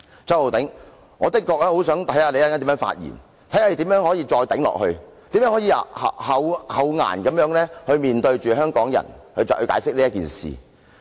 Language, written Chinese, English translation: Cantonese, 周浩鼎議員，我確實想看看你稍後如何發言，看看你如何能夠再"頂"下去，如何能夠厚顏地向香港人解釋此事。, Mr Holden CHOW I really want to see how you will express your views later how you can continue to hold on and barefacedly offer an explanation to Hong Kong people